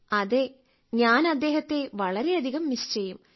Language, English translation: Malayalam, Yes, I miss him a lot